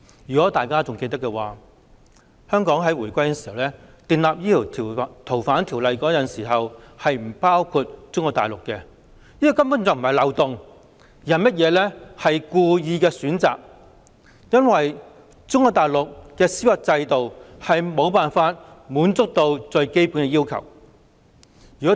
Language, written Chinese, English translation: Cantonese, 如果大家還記得的話，香港回歸時訂立《逃犯條例》，適用的司法管轄區並不包括中國內地，這根本不是漏洞而是故意的選擇，因為中國內地的司法制度未能達到最基本要求。, As Members may still remember the Fugitive Offenders Ordinance was enacted shortly before Hong Kongs handover to China under which Mainland China had not been included as an applicable jurisdiction . This was a deliberate act rather than a loophole given that the judicial system of Mainland China failed to meet the most basic requirements back then